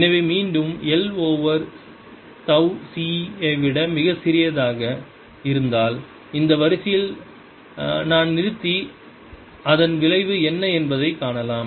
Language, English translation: Tamil, so again we see that if l is much, much, much smaller than tau c, i can stop at this order and see what the effect is